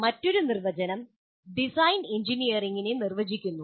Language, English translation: Malayalam, Another definition is design defines engineering